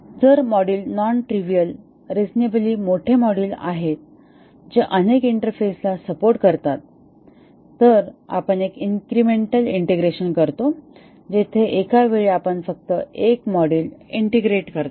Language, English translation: Marathi, So, if the modules are non trivial, reasonably large modules supporting many different interfaces, then we do a incremental integration where at a time we integrate only one module